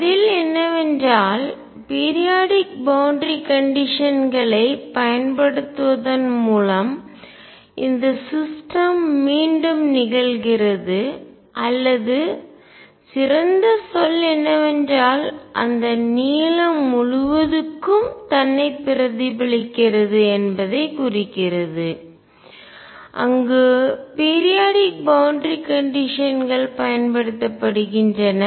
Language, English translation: Tamil, And the answer is that by applying periodic boundary conditions one is implying that the system repeats or better word is replicates itself over that length l, where the periodic boundary conditions are applied